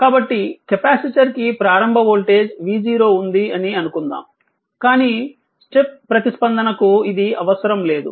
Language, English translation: Telugu, So, let us assume when initial voltage V 0 on the capacitor, but this is not necessary for the step response right